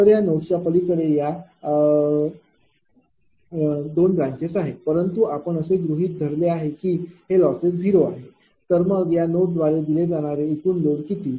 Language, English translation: Marathi, So, beyond this node this 2 branches are there, but we have assumed losses are 0, then what is the total load fed to this node